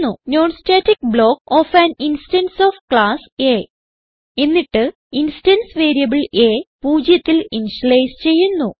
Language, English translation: Malayalam, non static block of an instance of class A and the instance variable a is initialized to 0